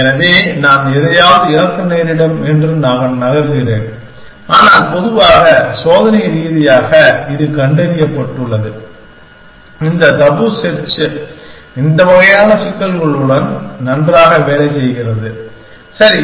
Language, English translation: Tamil, So, I am moving I might lose out on something, but in general, experimentally it has been found that, this tabu search works well with these kinds of problem essentially, right